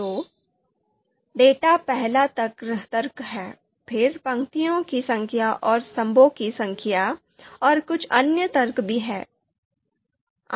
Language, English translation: Hindi, So you can see data is the first argument, then number of rows and number of columns, and there are certain other arguments also there